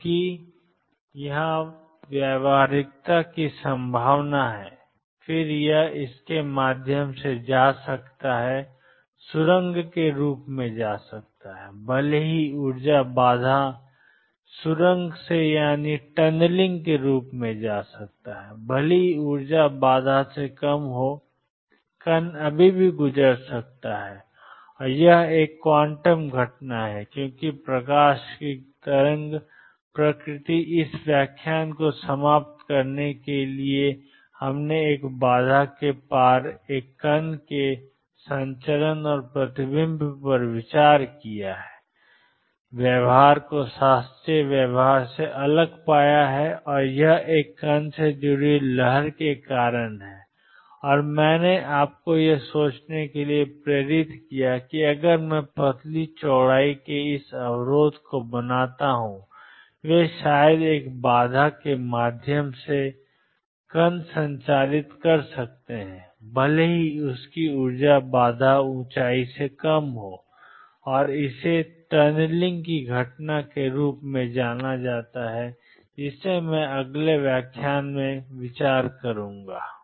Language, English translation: Hindi, Because is the probability of practicality here and then it can go through this is known as tunneling even if energy is lower than the barrier the particle can still go through and this is a quantum phenomena because of the wave nature of light to conclude this lecture what we have considered is transmission and reflection of a particle across a barrier and found the behavior to be different from classical behavior and this is because of the wave associated with a particle and I have motivated you to think that if I make this barrier of thin width they maybe particle transmitting through a barrier even if its energy is lower than the barrier height and that is known as the phenomena of tunneling which I will consider in the next lecture